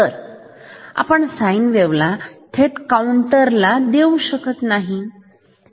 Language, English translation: Marathi, So, this sine wave we should not give directly to the counter